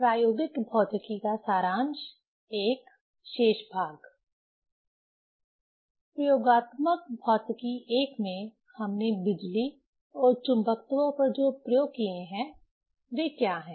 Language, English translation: Hindi, What are the experiments we have demonstrated in Experimental Physics I on electricity and magnetism